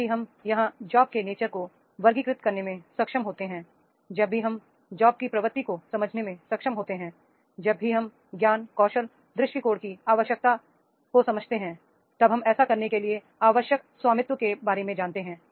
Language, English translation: Hindi, Whenever, when we are able to classify here the nature of jobs, when we are able to understand the job where the job is stents, when we know the knowledge, skill and attitude required, when we know about the ownership required to do this particular job without any ownership, this job cannot be successful